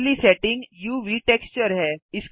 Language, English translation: Hindi, Next setting is UV texture